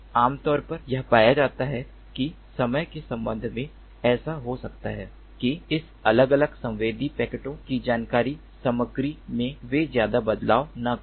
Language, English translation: Hindi, typically it is found that with respect to time, it might so happen that the information content of this different sensed packets they do not change much